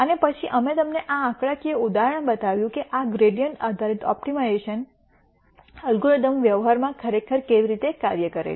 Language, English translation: Gujarati, And then we showed you a numerical example of how actually this gradient based optimization algorithm works in practice